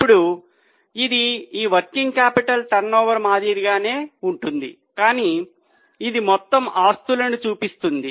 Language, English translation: Telugu, Now this is similar to this working capital turnover but this refers to the total assets